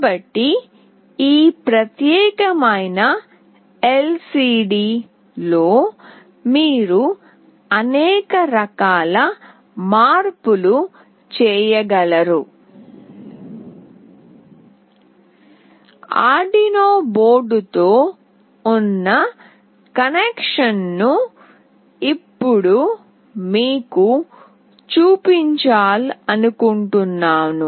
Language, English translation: Telugu, So, this is how you can make numerous variety of changes in this particular LCD, I would also like to show you now the connection with Arduino board